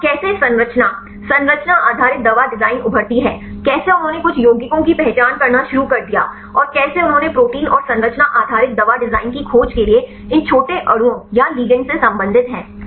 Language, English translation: Hindi, So, how the terms structure based drug design emerge, how they started to identify some compounds and how they related these small molecules or ligands right to interact with the proteins and the discovery of structure based drug design